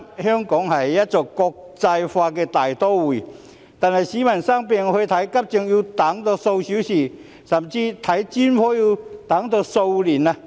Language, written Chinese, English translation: Cantonese, 香港是一個國際大都會，但是，市民生病時去看急症要等候數小時，看專科甚至要等候數年。, Hong Kong is an international metropolis and yet when people fall ill they have to wait for hours for emergency treatment and even years for specialist consultations